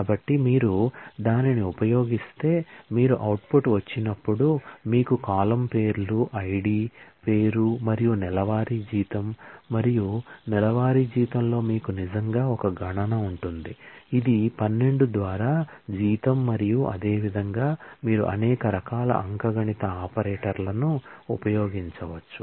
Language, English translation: Telugu, So, if we if you use that then, when you get the output you will get the column names are ID, name and monthly salary and in monthly salary you will actually have a computation, which is salary by 12 and in the same way, you can use multiple different kinds of arithmetic operators